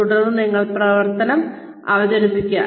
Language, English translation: Malayalam, Then, you present the operation